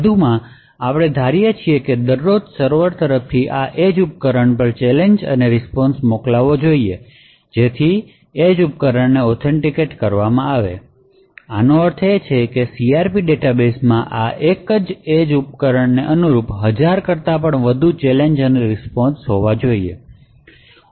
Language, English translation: Gujarati, Further, we assume that every day there should be challenged and response sent from the server to this edge device so as to authenticate the edge device, this would mean that the CRP database should have over thousand different challenges and response corresponding to this single edge device